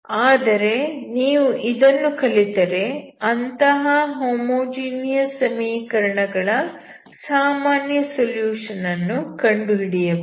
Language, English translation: Kannada, So, if you want to solve the non homogeneous equation, you should have general solution of the homogeneous equation